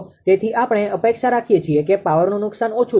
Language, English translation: Gujarati, So, we except that power loss will be less that there will be less power loss